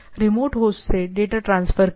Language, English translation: Hindi, Transfer data to and from the remote host